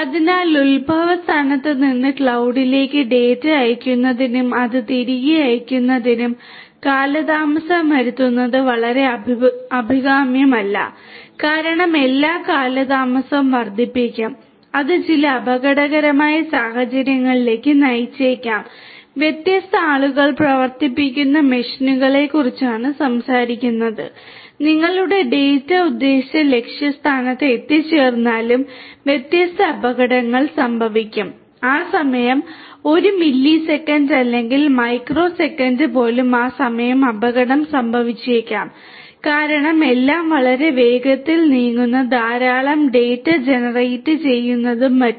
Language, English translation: Malayalam, So, it is not quite desirable to have any delay in sending the data from the point of origination to the cloud processing it over there and sending it back because the whole thing will add to the delay and that might lead to certain hazardous situations because we are talking about machines being operated by different different people, different hazards will happen even if your data reaches, the intended you know destination after maybe even a millisecond or a microsecond by that time maybe the hazard will happen, because everything is moving very fast you know lot of data are getting generated and so on